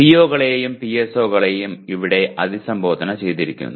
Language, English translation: Malayalam, The POs and PSOs are addressed here